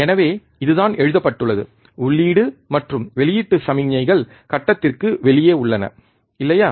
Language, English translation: Tamil, So, this is what is written input and output signals are out of phase, right